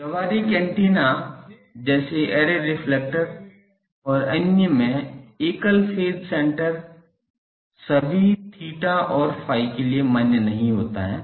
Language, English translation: Hindi, For practical antennas such as array reflector and others a field single a single phase center valid for all theta and phi does not exist